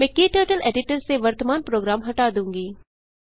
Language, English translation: Hindi, I will clear the current program from KTurtle editor